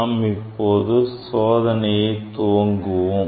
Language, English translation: Tamil, now, I will demonstrate the experiment